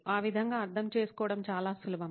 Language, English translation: Telugu, This is easy to understand